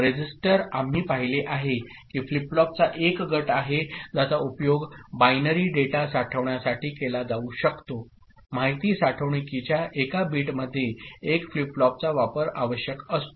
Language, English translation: Marathi, A register, we have seen that, is a group of flip flop that can be used to store binary data one bit of information storage requires use of one flip flop